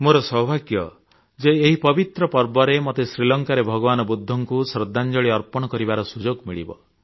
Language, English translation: Odia, On this holy event I shall get an opportunity to pay tributes to Lord Budha in Sri Lanka